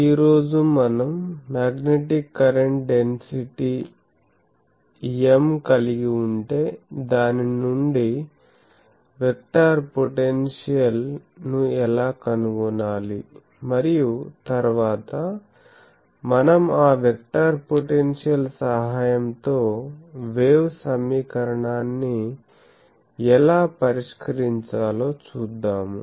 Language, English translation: Telugu, Today we will see that if we have a Magnetic Current Density M, then how to find the vector potential from it and then, we will find what is the how to solve the wave equation with the help of that vector potential